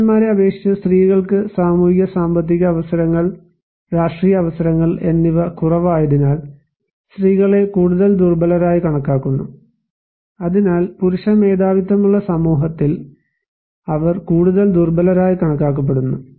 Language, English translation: Malayalam, And females are compared to be more vulnerable because they have many less socio economic opportunities, political opportunities, so than the male counterpart, so they are considered to be more vulnerable in a male dominated society